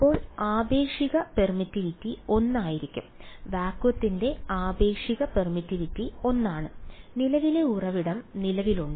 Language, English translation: Malayalam, Then the relative permittivity will be 1 that relative permittivity of vacuum is 1 and current source is present